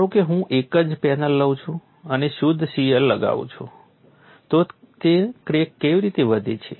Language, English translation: Gujarati, Suppose I take the same panel and apply pure shear how does the crack grow